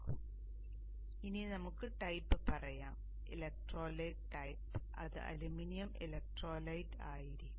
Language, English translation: Malayalam, So with this and then you can say the make type, electrolyte type would be aluminum electrolyte